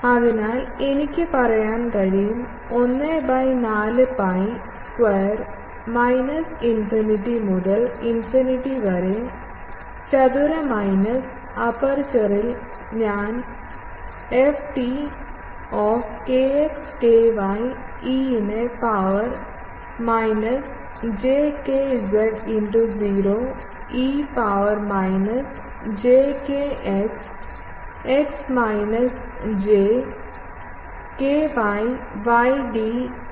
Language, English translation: Malayalam, So, I can say that 1 by 4 pi square minus infinity to infinity on, and that a on the aperture, I am calling ft kx ky e to the power minus j kz into 0 e to the power minus j kx x minus j ky y d kx d ky